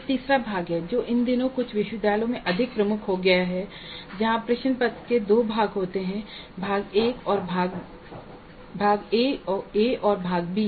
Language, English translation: Hindi, There is a third type which has become more prominent these days in some of the universities where the question paper has two parts, part A and part B